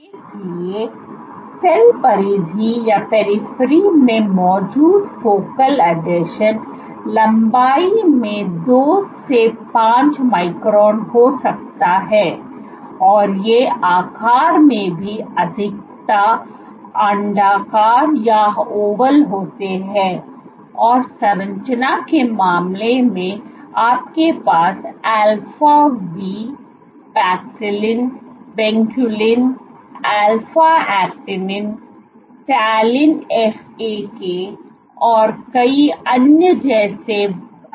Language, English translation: Hindi, So, the size of the focal adhesions, so focal adhesions are present at the cell periphery can be 2 to 5 microns in length, and these are also more oval in shape, and these in terms of composition you have integrals like alpha v, Paxillin, Vinculin, alpha Actinin, Talin FAK and many others